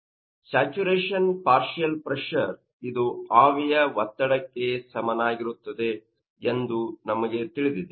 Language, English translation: Kannada, So, this is regarding that saturation we know that that partial pressure will be equal to vapour pressure and after that